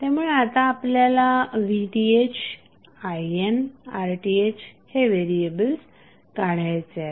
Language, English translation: Marathi, So, we have V Th, I N and R Th unknown variables which we have to find out